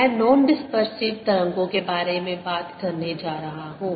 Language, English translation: Hindi, i am going to talk about non dispersive waves